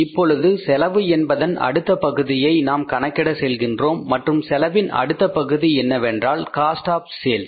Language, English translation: Tamil, Now we will go to the finding out the next part of the cost and the next part of the cost is the cost of sales